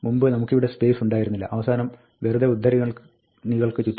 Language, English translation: Malayalam, Earlier, we had no space here, at the end, just around the quotes